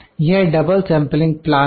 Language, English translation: Hindi, This is double sampling plan